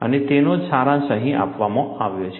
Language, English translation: Gujarati, And that is what is summarized here